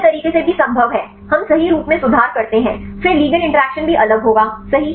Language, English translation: Hindi, It is also possible in other way around right we change the conformation then the ligand also the interaction will be different right